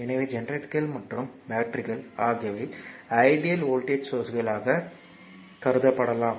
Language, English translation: Tamil, So, either generator and batteries you can you can be regarded as your ideal voltage sources that way we will think